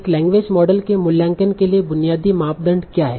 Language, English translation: Hindi, So what is the basic criteria for evaluating a language model